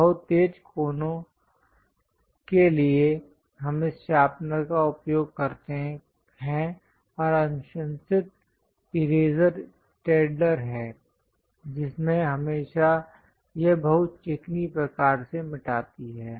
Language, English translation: Hindi, To have very sharp corners, we use this sharpener, and the recommended eraser is Staedtler, which always have this very smooth kind of erase